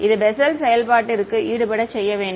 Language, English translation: Tamil, It should be offset inside the Bessel function